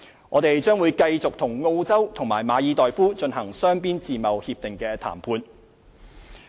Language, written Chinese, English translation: Cantonese, 我們將繼續與澳洲及馬爾代夫進行雙邊自貿協定談判。, We will continue to negotiate bilateral FTAs with Australia and the Maldives